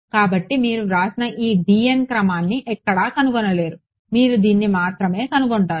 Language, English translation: Telugu, So, you will not find this order of d n written anywhere you will only find it as